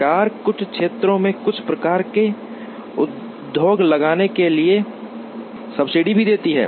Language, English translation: Hindi, Governments can give subsidy to locating certain types of industry in certain areas